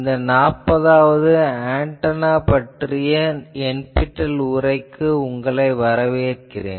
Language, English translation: Tamil, Welcome to this 40th lecture of NPTEL course on antenna